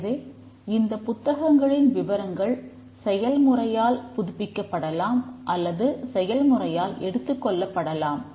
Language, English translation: Tamil, So, a books details may be updated by a process or may be consumed by a process